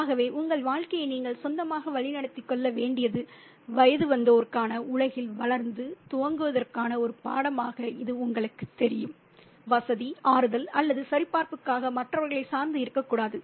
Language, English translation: Tamil, So it can be seen as a, you know, a lesson in growing up, an initiation into the adult world where you got to navigate your life on your own, not, you know, depend on others for comfort, solas or validation